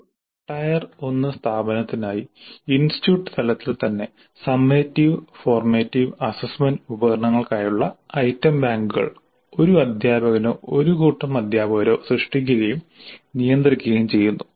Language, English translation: Malayalam, Now for a TIR 1 institution the item banks for all summative and formative assessment instruments are created and managed by a teacher or a group of teachers